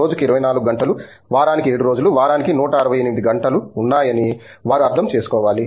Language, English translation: Telugu, They need to understand that there are 24 hours a day, there are 7 days a week, 168 hours a week